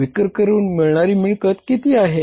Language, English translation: Marathi, Collection from sales is going to be how much